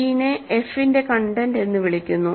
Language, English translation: Malayalam, c is called the content of f